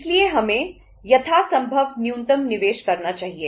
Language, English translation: Hindi, So we should invest as minimum as possible